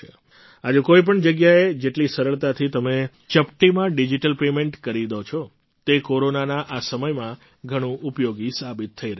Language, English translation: Gujarati, Today, you can make digital payments with absolute ease at any place; it is proving very useful even in this time of Corona